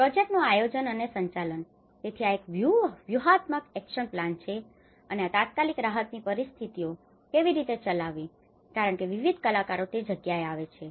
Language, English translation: Gujarati, The project planning and management: So, this is where a strategic action plan and how this immediate relief conditions has to be operated because the different actors come into the place